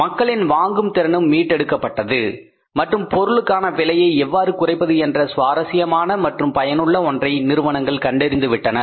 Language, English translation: Tamil, Purchasing power of the people also was regained and firms founded very interesting very useful that how to minimize the cost of the product